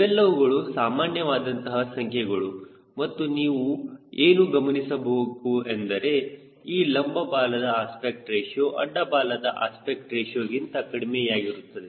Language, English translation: Kannada, these are typical numbers and what is should notice that aspect ratio of vertical tail is is much less compared to the aspect ratio of the horizontal tail